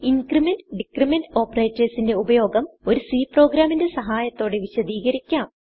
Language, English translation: Malayalam, I will now demonstrate the use of increment and decrement operators with the help of a C program